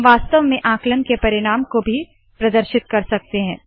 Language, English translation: Hindi, We can indeed display the result of a calculation as well